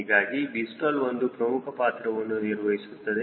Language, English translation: Kannada, so v stall place, extremely important role